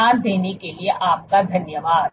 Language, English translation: Hindi, I thank you for your attention